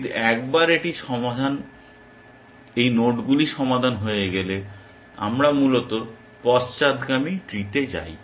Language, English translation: Bengali, But once it is solved nodes, we go into the backward tree essentially